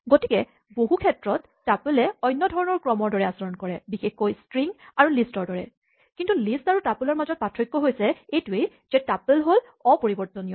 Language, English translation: Assamese, So, this behaves very much like a different type of sequence exactly like strings and lists we have seen so far, but the difference between a tuple and a list is that a tuple is immutable